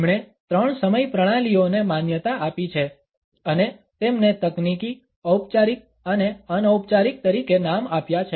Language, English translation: Gujarati, He has recognized three time systems and named them as technical, formal and informal